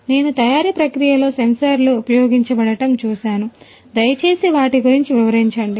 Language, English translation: Telugu, I have seen sensors are used in the manufacturing process, please explain about them